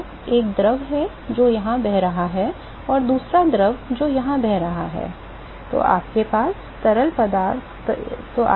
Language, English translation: Hindi, So, there is fluid one which is flowing here and fluid two which is flowing here